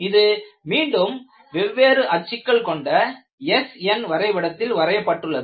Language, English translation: Tamil, This is again your SN diagram re plotted with different axis